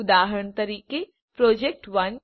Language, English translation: Gujarati, For example, project1